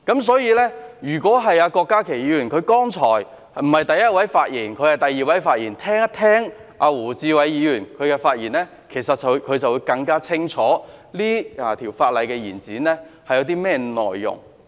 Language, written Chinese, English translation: Cantonese, 所以，如果郭家麒議員——他剛才不是第一位發言，而是第二位發言——聆聽胡志偉議員的發言，便會更清楚這項有關延展修訂期限的擬議決議案內容。, Therefore if Dr KWOK Ka - ki―he was not the first Member but was the second Member to speak on this subject―has listened to the speech of Mr WU Chi - wai he would have a clearer understanding of the content of this proposed resolution to extend the amendment period